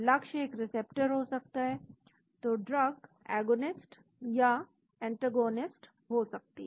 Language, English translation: Hindi, Target could be a receptor so the drug could be agonists or antagonist